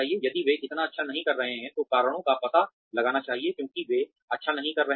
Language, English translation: Hindi, If they are not doing so well, reasons should be found out, for why they are not doing well